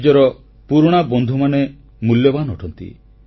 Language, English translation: Odia, Old friends are invaluable